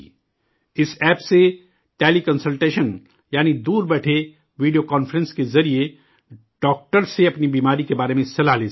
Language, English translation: Urdu, Through this App Teleconsultation, that is, while sitting far away, through video conference, you can consult a doctor about your illness